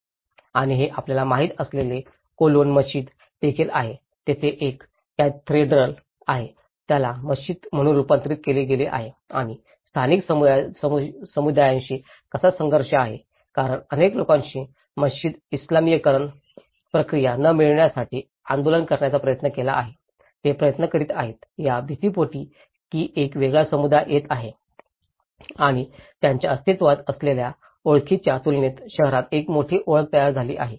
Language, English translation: Marathi, And this is also a cologne mosque you know, there is a cathedral which has been converted as a mosque and how there is a conflict with the local communities because many people have tried to agitate not to get a mosque the Islamization process, they are trying to little afraid of that there is a different community coming and there is a big identities built up in the city in contrast with their existing identities